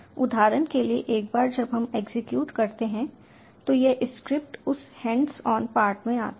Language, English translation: Hindi, see, for example, once we execute, this script will come to that in the hands on part